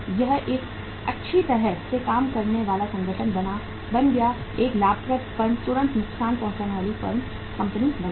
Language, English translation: Hindi, It became a profit well functioning organization, a profitmaking firm immediately became the lossmaking firm